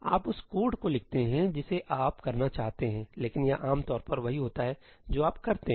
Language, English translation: Hindi, You write the code that you want to do, but that is typically what you end up doing